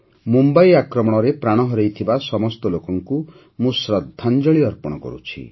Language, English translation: Odia, I pay homage to all of them who lost their lives in the Mumbai attack